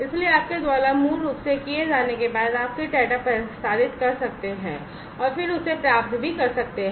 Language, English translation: Hindi, So, after you have done that basically, you know, you can then transmit the data and then also receive it